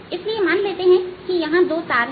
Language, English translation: Hindi, so suppose there are two strings